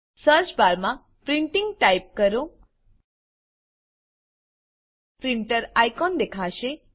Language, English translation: Gujarati, In the Search bar, type Printing The printer icon will be displayed